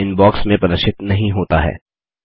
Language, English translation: Hindi, It is no longer displayed in the Inbox